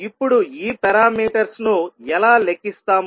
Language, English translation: Telugu, Now, let us see how we will calculate these parameters